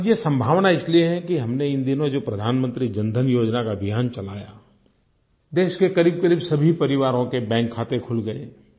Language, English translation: Hindi, And this possibility is there because under the Pradhan Mantri Jan Dhan Yojana that we have started recently, nearly all the families in the country have had their bank accounts opened